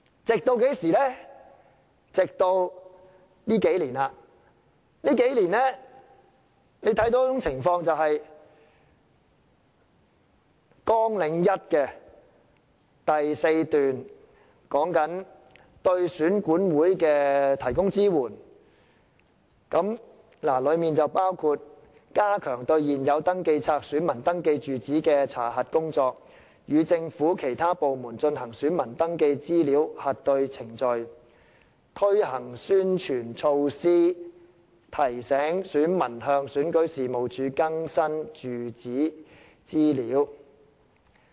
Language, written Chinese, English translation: Cantonese, 直至最近數年，大家看到一種情況，也就是綱領下第4段所說的，對選舉管理委員會提供支援，包括加強對現有登記冊選民登記住址的查核工作；與政府其他部門進行選民登記資料核對程序；推行宣傳措施，提醒選民向選舉事務處更新住址資料。, That had been the case until the past few years when a situation has arisen . As stated in paragraph 4 under Programme the Electoral Affairs Commission is provided with support including the enhancement of checking of electors in the current register in respect of their registered addresses; the conduct of cross - matching exercise with other government departments on electors registration particulars; publicity measures to remind electors to update their addresses with REO